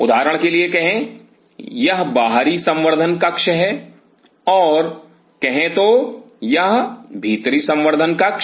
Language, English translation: Hindi, Say for example, this is the outer culture room and say in our culture room